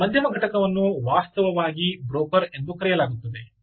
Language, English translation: Kannada, this middle entity is actually called the broker